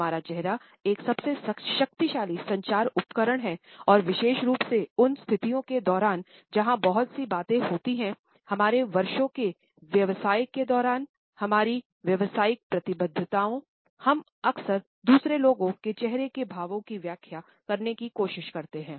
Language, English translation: Hindi, Our face is one of the most powerful communication tools and particularly in the situations where we have to talk a lot during our business of years, during our professional commitments, we find that often we try to interpret the facial expressions of other people